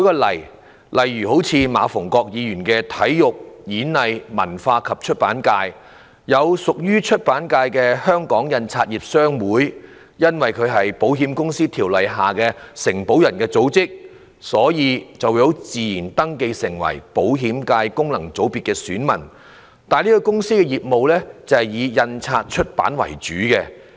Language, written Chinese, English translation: Cantonese, 例如，馬逢國議員的體育、演藝、文化及出版界，屬於出版界的香港印刷業商會因為是《保險業條例》下的承保人組織，所以自動登記為保險界功能界別的選民，但該公司的業務以印刷出版為主。, Taking the Sports Performing Arts Culture and Publication FC represented by Mr MA Fung - kwok as an example the Hong Kong Printers Association HKPA which belongs to the publication sector was automatically registered as an elector of the Insurance FC owing to its capacity as an association of underwriters under the Insurance Ordinance . Yet HKPA mainly engages in the publication business